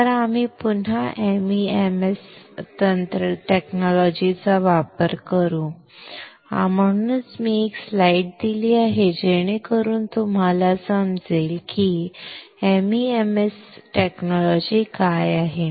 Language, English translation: Marathi, So, again we will use the MEMS technology, that is why I have given a slide so that you understand what exactly is a MEMS technology